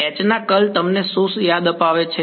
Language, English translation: Gujarati, Curl of H reminds you a what